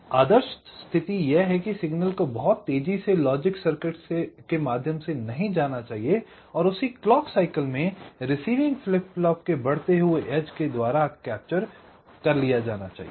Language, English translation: Hindi, so the ideal is that signal should not go through the logic circuit too fast and get captured by the rising edge of the receiving flip flop of the same cycle